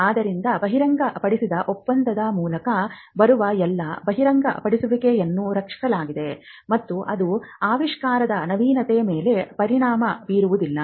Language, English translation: Kannada, So, all disclosures that come through a non disclosure agreement are protected and it does not affect the novelty of an invention